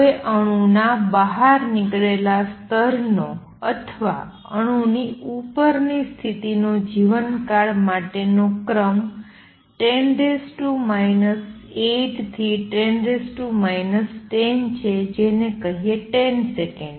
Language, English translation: Gujarati, Now life time of an exited state or the upper state of an atom is of the order of 10 raise to minus 8 to 10 raise to minus let say 10 seconds